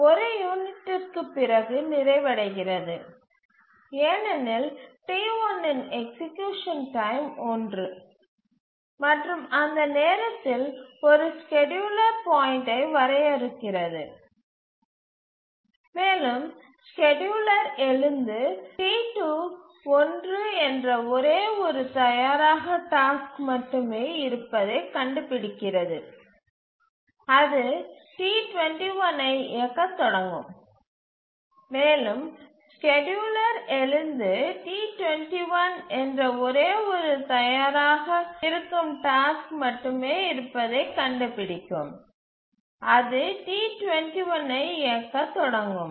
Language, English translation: Tamil, It completes after one unit because execution time of T1 is 1 and at that point defines a scheduling point and the scheduler will wake up and find that there is only one ready task which is T2 1 it will start executing T2 1